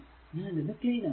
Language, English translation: Malayalam, So, let me clean it